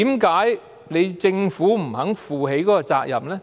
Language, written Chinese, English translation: Cantonese, 為何政府不肯負起這個責任呢？, What is the reason for the Government to refrain from taking up this responsibility?